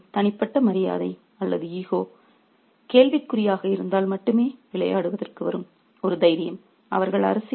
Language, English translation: Tamil, It's a courage that will only kind of come to play if their personal honor or ego is in question